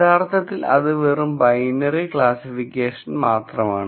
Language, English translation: Malayalam, So, that is another binary classification example